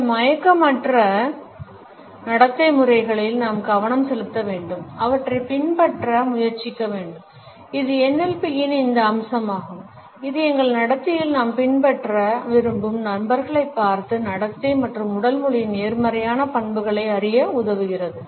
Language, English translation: Tamil, We should focus on these unconscious behavioural patterns and try to emulate them and it is this aspect of NLP which helps us to learn more positive traits of behaviour as well as body language by looking at those people who we want to emulate in our behaviour